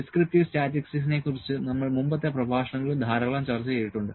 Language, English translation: Malayalam, Descriptive statistics we have discussed this a lot in the previous lectures